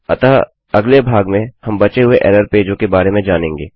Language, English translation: Hindi, So in the next parts, we will cover the rest of the error pages